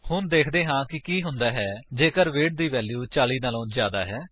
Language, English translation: Punjabi, Let us see what happens if the value of weight is greater than 40